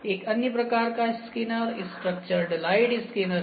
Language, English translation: Hindi, So, another kind of a scanner is structured light scanner, structured light scanner